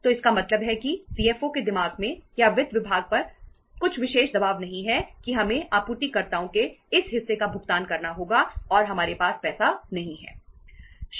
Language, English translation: Hindi, So it means some special pressure is not there in the in the mind of the CFO or on the finance department that we have to make the payment of this much of the suppliers and we donít have the money